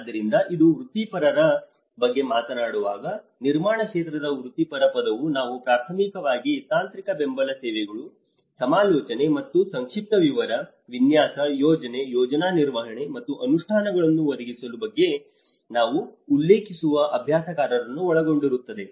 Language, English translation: Kannada, So, when we talk about the professional, who is a professional, the term built environment professional includes those we refer to as practitioners primarily concerned with providing technical support services, consultation and briefing, design, planning, project management, and implementation